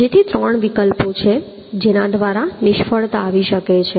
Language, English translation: Gujarati, So three alternatives are there through which the failure may occur